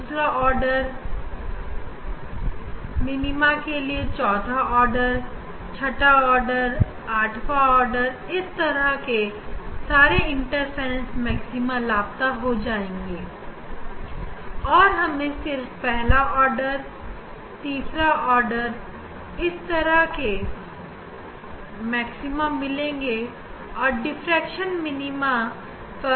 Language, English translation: Hindi, second order, then fourth order, sixth order, eighth order those principle those interference maxima we will be missing in the first order, second order, third order at those that those are the place of the diffraction minima